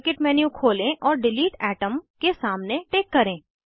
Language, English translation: Hindi, Open modelkit menu and check against delete atom